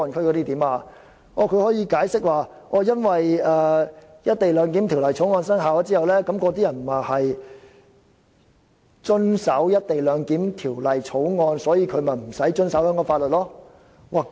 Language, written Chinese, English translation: Cantonese, 它竟可以解釋說《條例草案》生效之後，那些人員會遵守《條例草案》，所以無須遵守香港法律。, In reply DoJ outrageously said that after the Bill has come into effect those personnel will abide by the Bill and so it will be unnecessary for them to abide by the laws of Hong Kong . And they thought that they were talking sense